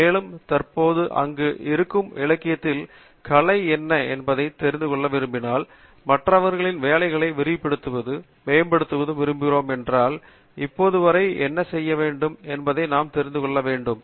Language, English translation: Tamil, And, if you want to know what is the state of the art in the literature that is currently there and we want to extend and build on the work of others, definitely we need to know what is done till now